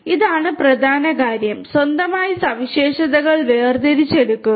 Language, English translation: Malayalam, This is the key thing, extraction of features on its own